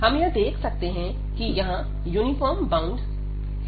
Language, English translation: Hindi, So, what we have seen that there is a uniform bound here